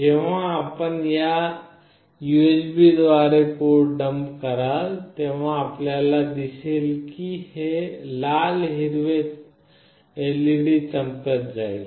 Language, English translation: Marathi, Whenever you will dump a code through this USB, you will see that this red/green LED will glow